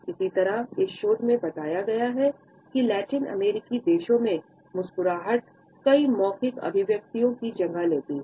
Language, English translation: Hindi, Similarly, it has been pointed out in this research that in Latin American countries a smiles take place of many verbal expressions